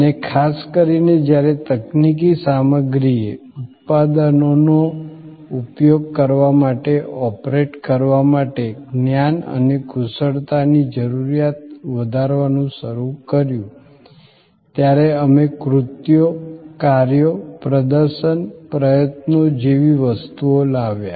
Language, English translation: Gujarati, And particularly, when the technology content started increasing the need of knowledge and expertise to operate to use products started augmenting, we brought in things like acts, deeds, performances, efforts